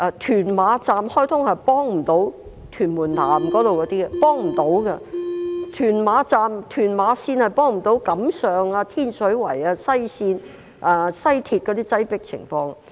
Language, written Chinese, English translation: Cantonese, 屯馬綫開通後也幫不了屯門南的居民，屯馬綫根本無法幫助解決錦上、天水圍、西鐵綫的擠迫情況。, The commissioning of the Tuen Ma Line is not of much help to the residents of Tuen Mun South for it basically cannot ease the crowdedness on Kam Sheung Road Tin Shui Wai and the West Rail